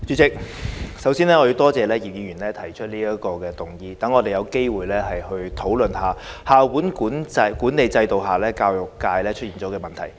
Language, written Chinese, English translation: Cantonese, 代理主席，首先，我多謝葉議員動議這項議案，讓我們有機會討論校本管理制度下教育界出現的問題。, Deputy President first of all I would like to thank Mr IP for moving this motion which gives us an opportunity to discuss the problems facing the education sector under the school - based management system